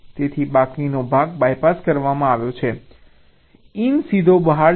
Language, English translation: Gujarati, so the remaining part is, by passed in, will go straight to out